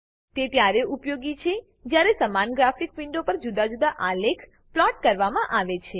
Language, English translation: Gujarati, It is useful while plotting different graph on the same graphic window